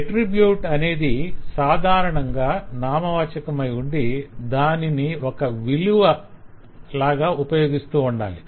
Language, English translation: Telugu, the characteristic of an attribute is it should typically be a noun which is used only as a value